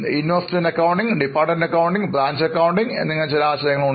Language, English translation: Malayalam, There are a few more concepts like investment accounting, departmental accounting, branch accounting